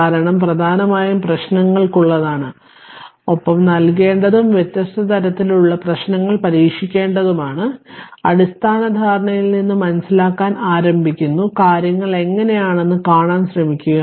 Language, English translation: Malayalam, Because this course is mainly for problems right and you have to you have to give you have to try different type of problems and understanding is starting from the basic concept, you try to see how things are right